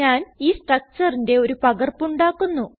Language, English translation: Malayalam, I will make a copy of this structure